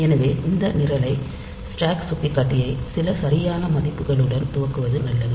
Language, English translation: Tamil, So, it is better that we initialize this program this stack pointer to some proper values